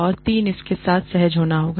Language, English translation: Hindi, And three, has to be comfortable with it